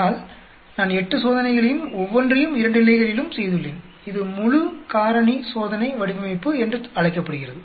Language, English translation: Tamil, But, I have done 8 experiments and each one at 2 levels and this is called full factorial experimental design